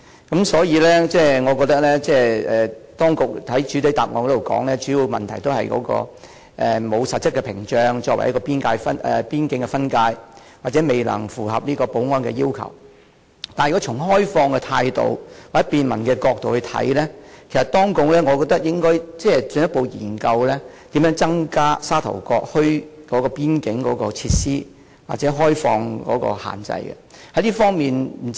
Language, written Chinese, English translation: Cantonese, 當局在主體答覆中表示，主要的問題是沒有實質屏障作為邊境分界或未能符合保安的要求，但如果以開放的態度或從便民的角度來看，我認為當局應該進一步研究如何增加沙頭角墟的邊境設施或開放有關限制。, In the main reply the authorities stated that the prime consideration is the lack of a physical barrier separating the two places along the border or concern about not meeting the security requirements . But making consideration with an open mind or from the angle of providing convenience to the public I think the authorities should further look into how the border facilities in Sha Tau Kok can be increased or how the restrictions can be relaxed